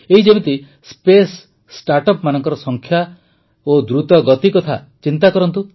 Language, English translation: Odia, For example, take just the number and speed of space startups